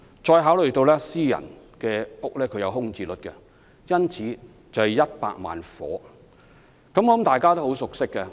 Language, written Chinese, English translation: Cantonese, 再考慮到私人住宅亦有空置率，因此需要100萬個住屋單位。, Meanwhile as some private residential units may be left vacant we thus need 1 million residential units to meet the demand